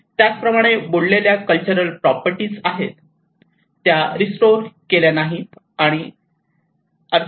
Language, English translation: Marathi, Similarly, in the cultural properties which has been submerged they are not restored